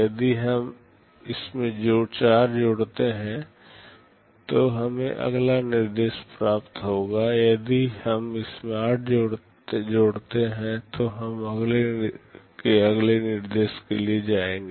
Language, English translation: Hindi, If we add 4 to it, we will be getting the next instruction; if we add 8 to it, we will be the next to next instruction